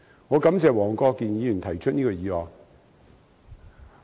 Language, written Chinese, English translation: Cantonese, 我感謝黃國健議員提出這項議案。, I thank Mr WONG Kwok - kin for moving this motion